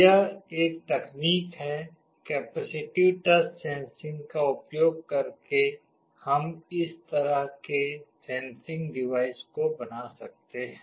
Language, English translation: Hindi, This is one technology the capacitive touch sensing using which we can implement such kind of a sensing device